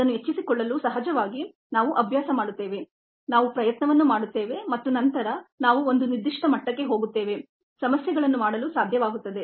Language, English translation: Kannada, to pick it up, of course, we practice, we put an effort and then we get to a certain level of be able to do problems